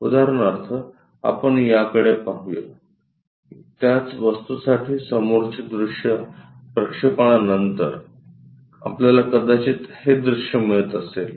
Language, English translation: Marathi, For example, let us look at this one, for the same object the front view, after projection, we might be getting this one